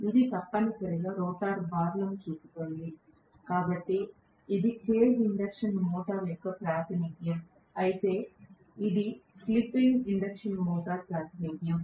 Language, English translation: Telugu, This is essentially showing the rotor bars, so this the representation of cage induction motor, whereas this is the slip ring induction motor representation okay